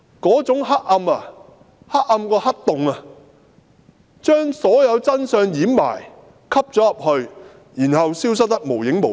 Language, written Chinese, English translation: Cantonese, 那種黑暗比黑洞更黑，掩蓋所有真相，然後消失得無影無蹤。, That kind of darkness is even darker than the black hole . The truth is buried in its entirety and then disappears into obscurity